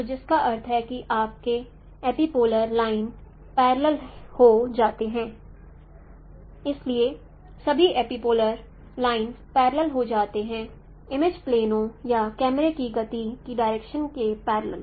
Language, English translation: Hindi, So all epipolar lines they become parallel parallel to the direction of motion of the image planes or the camera